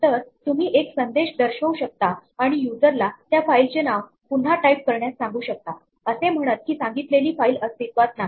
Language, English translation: Marathi, So, you could display a message and ask the user to retype the file name, saying the file asked for does not exist